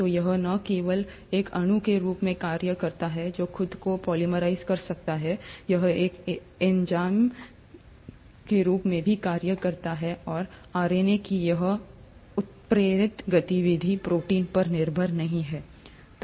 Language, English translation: Hindi, So, it not only acts as a molecule which can polymerize itself, it also can act as an enzyme, and this catalytic activity of RNA is not dependent on proteins